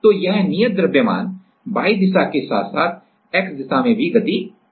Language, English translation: Hindi, So, this proof mass is move can move in a Y direction as well as in the X direction